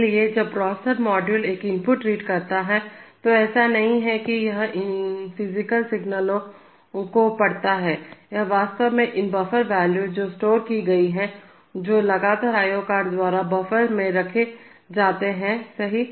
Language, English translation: Hindi, So, when the processor module reads an input, it is not that it reads these physical signals, it actually reads these buffer values which are stored, which are continuously kept in the buffers by the i/o cards, right